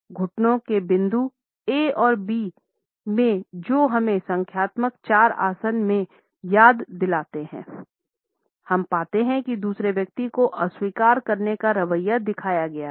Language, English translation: Hindi, In the knee point A and B which also remind us of the numerical 4 posture; we find that an attitude of rejecting the other person is shown